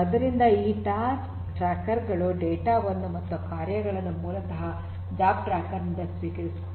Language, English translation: Kannada, So, this task trackers are running on them, receiving the data receiving the tasks basically from the job tracker